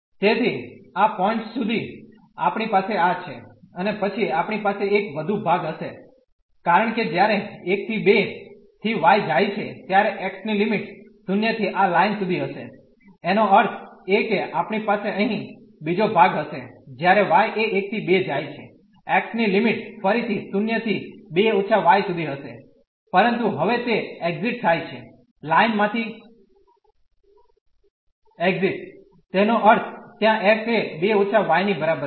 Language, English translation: Gujarati, So, up to this point we have this and then we will have one more part because when y goes from 1 to 2, then the limits of x will be from 0 to this line; that means, we will have another part here when y goes from 1 to 2 the limits of x will be again from 0 to, but now it exists exit from the line; that means, there x is 2 minus y